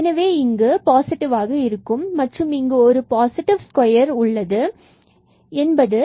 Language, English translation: Tamil, So, here we have something positive and here also we will have positive this is a square there